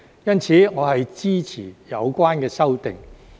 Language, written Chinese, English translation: Cantonese, 因此，我支持有關修訂。, Therefore I support the relevant amendments